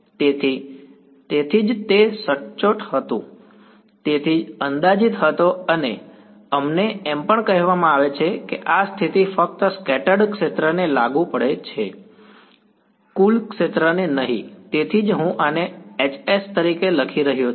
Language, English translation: Gujarati, So, that is why it was in exact hence the approximation and we are also said that this condition applies only to the scattered field not the total field that is why I am writing this as H s